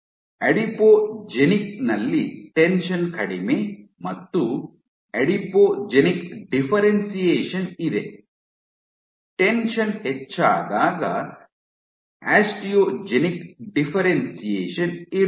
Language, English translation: Kannada, In Adipogenic in low and tension is low you have Adipogenic differentiation, when tension is high you have Osteogenic differentiation